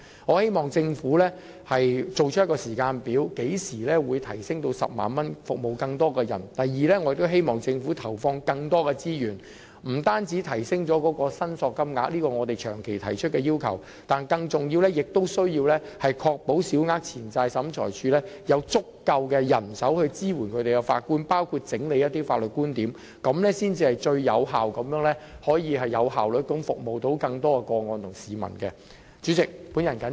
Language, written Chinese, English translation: Cantonese, 我希望政府提供時間表，說明何時會把限額提升至 100,000 元，服務更多市民；第二，我希望政府投放更多資源，不單回應我們長期提出的要求，亦即提升申索限額，而更重要的是必須確保小額錢債審裁處有足夠人手支援法官，包括整理一些法律觀點，這樣才能最有效率地處理更多個案和服務市民。, I hope that the Government will provide a timetable telling us when the limit of claims will be increased to 100,000 in order to serve more people . Second I hope that the Government will inject more resources not only to respond to the demand persistently made by us of increasing the limit of claims but more importantly to ensure that the Small Claims Tribunal has sufficient manpower to provide support for the judges by among others collating some points of law . Only in this way can it handle more cases and serve the public most efficiently